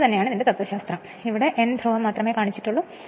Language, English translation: Malayalam, So, this is the same philosophy and this is only N pole is shown here